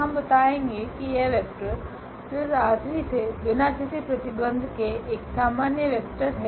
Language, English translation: Hindi, We will show that this vector which is a general vector from this R 3 without any restriction